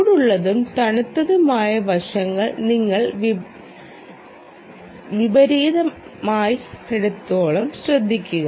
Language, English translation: Malayalam, also, note that you should not reverse the hot and cold side